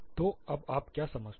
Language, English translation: Hindi, So, what do you understand now